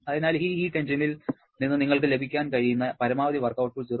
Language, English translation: Malayalam, So, the maximum possible output that you can get work output from this heat engine is 0